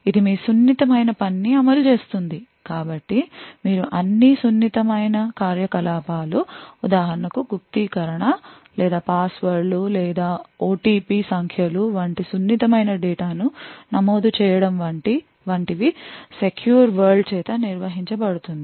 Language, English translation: Telugu, Now you would have a secure world as well which would run your sensitive task so all your sensitive operations such as for example encryption or entering sensitive data like passwords or OTP numbers would be handled by the secure world